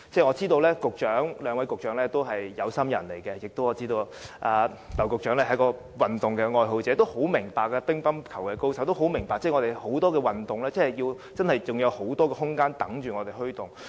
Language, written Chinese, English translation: Cantonese, 我知道兩位局長皆是有心人，我更知道劉局長是一位運動愛好者，是乒乓球高手，應十分明白多項運動都有很多空間等待我們推動。, I know that the two Secretaries are keen to do something . I also know that Secretary LAU is a sports lover and a dab hand at playing table tennis . So both Secretaries should fully appreciate that there is much room for us to promote various sports